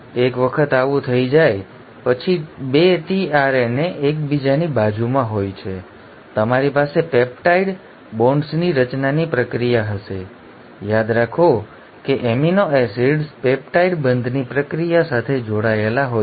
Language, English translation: Gujarati, Once this has happened, now the 2 tRNAs are next to each other you will have the process of formation of peptide bonds; remember to amino acids are joined by the process of peptide bonds